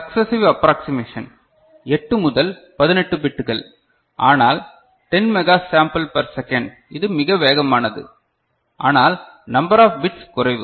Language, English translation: Tamil, Successive approximation 8 to 18 bits, but 10 mega sample per second, this much faster ok, but number of bits in this less ok